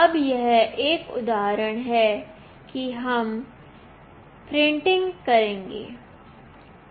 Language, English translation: Hindi, Now, this is an example that we will be printing